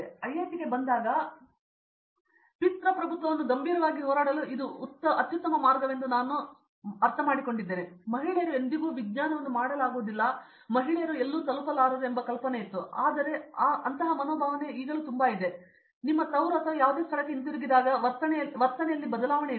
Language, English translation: Kannada, But coming to an IIT, I understand that this is a best way to fight patriarchy as in seriously, as in you ever notion that women cannot do science or women cannot reach somewhere, but then the attitude there is a I mean there is so much of an attitude change when you go back to your hometown or any place